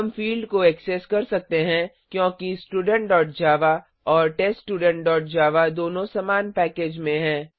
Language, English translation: Hindi, We can access the fields because both Student.java and TestStudent.java are in the same package